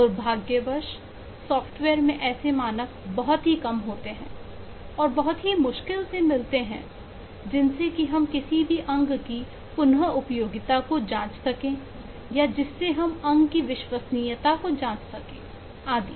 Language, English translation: Hindi, in software, unfortunately, there are very few standards, really really hardly any standard, to check if a component is really usable, what is the reliability of a component that you are using, and so on